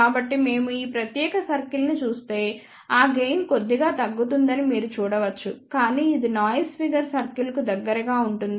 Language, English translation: Telugu, So, let us see if we look at this particular circle you can see that gain is reduced slightly, but it is becoming closer to the noise figure circle